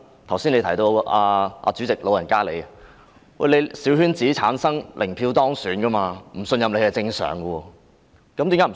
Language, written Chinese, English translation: Cantonese, 剛才亦提到主席，你也是由小圈子產生，零票當選，所以不信任你是正常的事。, Just now the President was mentioned too . You were also returned by a small - circle election elected with zero votes . The lack of confidence in you is thus just normal